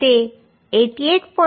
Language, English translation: Gujarati, 06 so this is coming 52